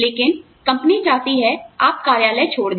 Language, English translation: Hindi, But, the company needs you, to leave the office